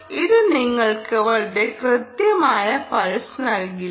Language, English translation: Malayalam, its ot going to give you a very accurate pulse right